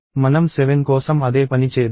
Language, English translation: Telugu, Let us do the same thing for 7